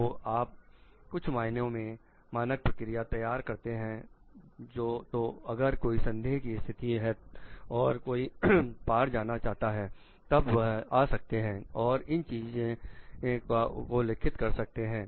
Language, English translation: Hindi, So, that you formulate some standard processes, so if somebody s in a dilemma somebody s in a crossroad they can come and refer to those things